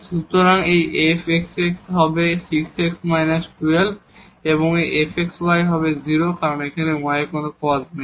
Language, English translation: Bengali, So, fxx will be 6 x minus 12 and this fxy will be 0 because there is no term of y here